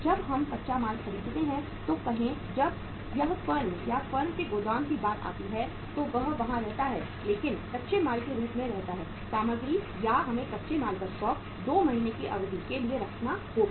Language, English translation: Hindi, Say when we purchase the raw material when it comes to the firm or the warehouse of the firm it stays there but remains as a raw material or we have to keep the stock of the raw material for a period of 2 months